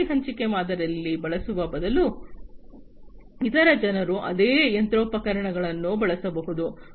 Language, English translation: Kannada, Instead using the asset sharing model, what can be done is that other people can use the same machinery